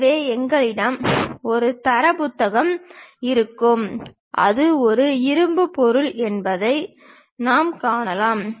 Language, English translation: Tamil, So, we will be having a data book where we can really see if it is a iron material